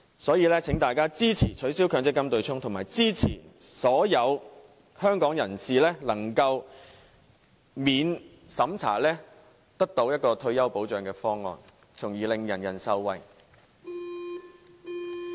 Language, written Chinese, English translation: Cantonese, 所以，請大家支持取消強積金對沖及支持所有香港人可獲得免審查退休保障的方案，令所有人受惠。, Therefore please support both the proposal of abolishing the MPF offsetting mechanism and that of entitling all Hong Kong people to the non - means - tested retirement protection which is meant to benefit everyone